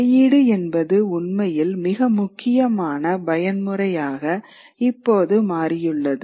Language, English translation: Tamil, And publishing actually becomes a very important mode now, the new learning that is being generated